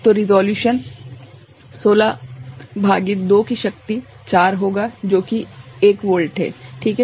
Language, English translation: Hindi, So, resolution will be 16 by 2 to the power 4 that is 1 volt ok